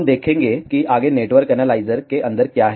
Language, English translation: Hindi, We will see what is inside a network analyzer next